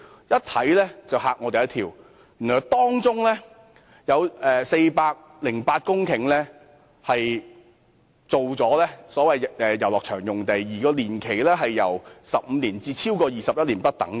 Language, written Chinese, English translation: Cantonese, 一看到答覆，我便嚇了一跳，原來當中有408公頃用作遊樂場用地，年期由15年至超過21年不等。, I was shocked upon reading its reply as I realized that 408 hectares of land was designated as recreational sites with their lease tenures ranging from 15 years to over 21 years